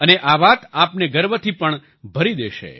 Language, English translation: Gujarati, And this will also fill you with pride